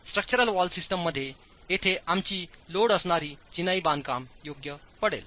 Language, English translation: Marathi, In structural wall systems, this is where our load bearing masonry constructions would fall into